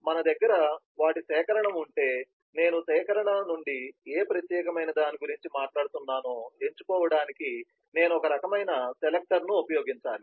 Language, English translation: Telugu, so if we have a collection of them, then i must use some kind of a selector to select which particular one i am talking about from the collection